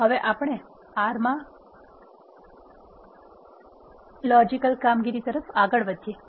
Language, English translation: Gujarati, Next we move on to the logical operations in R